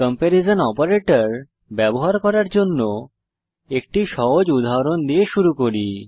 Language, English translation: Bengali, Let us consider a simple example for using comparison operator